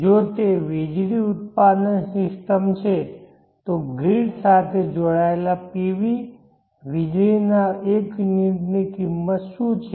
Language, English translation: Gujarati, If it is the electricity generation system PV connected to the grid what is the cost of the 1 unit of the electricity